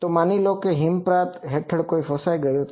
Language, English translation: Gujarati, Then suppose someone is trapped under some avalanche